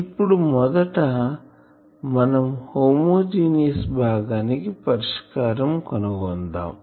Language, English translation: Telugu, So, first we will doing the homogeneous part of the solution